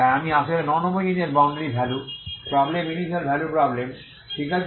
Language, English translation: Bengali, So I decomposed the actually non homogeneous boundary value problem initial value problem, okay